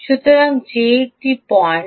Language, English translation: Bengali, so that is a point